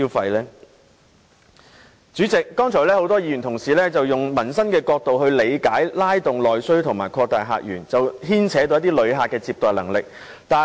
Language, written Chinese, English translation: Cantonese, 代理主席，剛才很多議員均從民生角度理解拉動內需和擴大客源，於是牽扯到接待旅客的能力。, Deputy President just now many Members have considered opening up new visitor sources and stimulating internal demand from the point of view of peoples livelihood . They were thus led to consider also the issue of visitor receiving capability